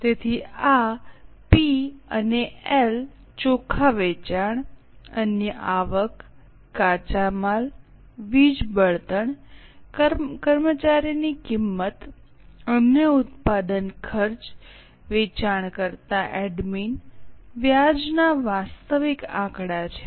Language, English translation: Gujarati, So, these are the actual figures from P&L, net sales, other income, raw material, power fuel, employee cost, other manufacturing expenses, selling, admin, interest